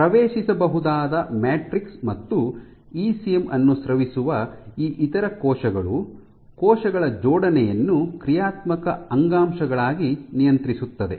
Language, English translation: Kannada, So, these other cells which secrete the accessible matrix, the ECM in return regulates the assembly of cells into functional tissues